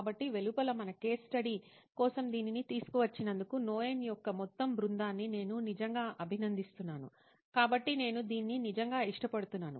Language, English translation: Telugu, So at the outside, I would really appreciate the entire team of Knoin for bringing this up for our case study, so I really like it